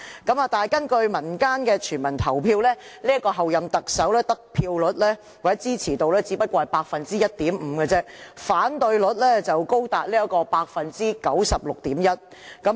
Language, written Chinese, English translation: Cantonese, 但是，根據民間的全民投票，這位候任特首的得票率或支持率只有 1.5%， 反對率卻高達 96.1%。, However according to the results of the civil referendum in society the vote share or approval rate of this Chief Executive - elect is only 1.5 % while the disapproval rate is as high as 96.1 %